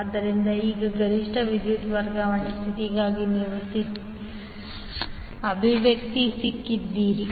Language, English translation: Kannada, So, now for maximum power transfer condition you got to expression for the condition